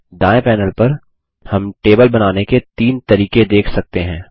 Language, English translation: Hindi, On the right panel, we see three ways of creating a table